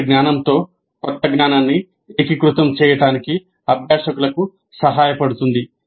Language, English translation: Telugu, Help the learners integrate the new knowledge with the previous knowledge